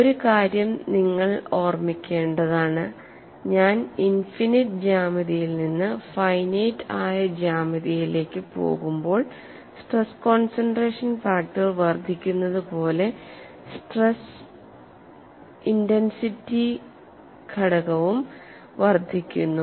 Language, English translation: Malayalam, One thing you have to keep in mind is when going from infinite geometry to finite geometry as the stress concentration factor increases stress intensity factor also increases